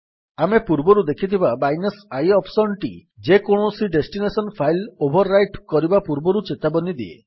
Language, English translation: Odia, The i option that we have already seen warns us before overwriting any destination file